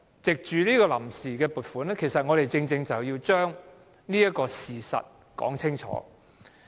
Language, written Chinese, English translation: Cantonese, 藉着審議臨時撥款的決議案，我們正正要把這個事實說清楚。, As we are now scrutinizing the VoA resolution we would like to take this chance to clarify this fact